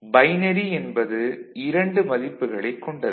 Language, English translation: Tamil, So, 2 valued binary